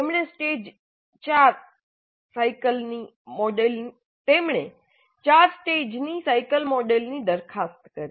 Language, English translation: Gujarati, He proposed a four stage cyclic model